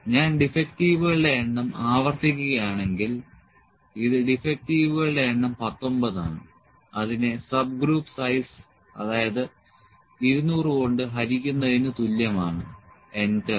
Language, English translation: Malayalam, If it I will repeat number of defectives this is equal to number of defectives is in 19 divided by the subgroup size that is 200 enter